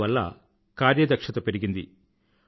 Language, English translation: Telugu, This also helped in improving efficiency